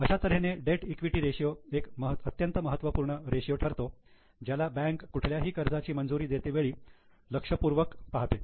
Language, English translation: Marathi, So, debt equity ratio is a very important ratio which is looked by banker while sanctioning any loan proposal